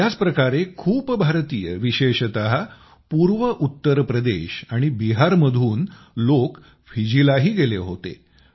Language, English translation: Marathi, Similarly, many Indians, especially people from eastern Uttar Pradesh and Bihar, had gone to Fiji too